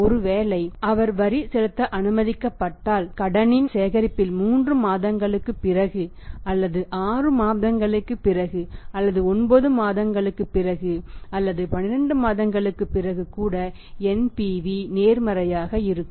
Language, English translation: Tamil, On the collection of the credit scenes maybe after 3 month maybe after 6 months maybe after 9 months or maybe after 12 month in that case even after 12 months NPV will be positive